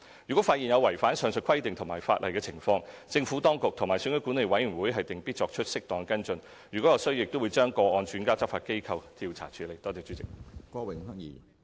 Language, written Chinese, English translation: Cantonese, 如果發現有違反上述規定及法例的情況，政府當局和選舉管理委員會定必作出適當跟進；如有需要，亦會把個案轉介執法機關調查處理。, In the event of any of the above regulations and legislation being breached the relevant authorities and the Electoral Affairs Commission will take appropriate follow - up action and where necessary refer such cases to law enforcement agencies for investigation